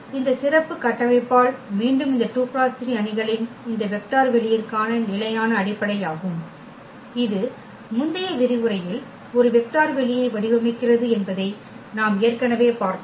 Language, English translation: Tamil, With this special structure again these are the standard basis for this vector space of this 2 by 3 matrices we have already seen that this format a vector space in the last lecture